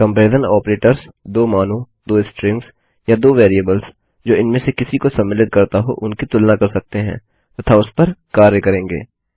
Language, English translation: Hindi, Comparison Operators can compare 2 values, 2 strings or 2 variables that can contain any of them and will act upon that